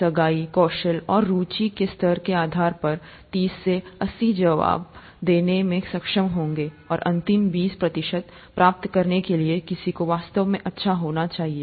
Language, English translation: Hindi, Thirty to eighty depending on the level of engagement, skill and interest would be able to answer and one needs to be really good to get the last twenty percent